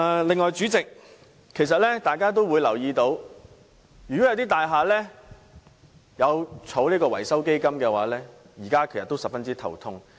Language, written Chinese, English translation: Cantonese, 另外，代理主席，大家也會留意到，一些設有維修基金的大廈現時也十分頭痛。, On the other hand Deputy President Members may have noticed that some buildings with a maintenance fund face a big headache now